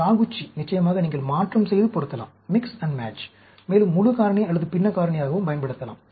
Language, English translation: Tamil, Taguchi, of course, you can mix and match, and use it for full factorial or even fractional factorial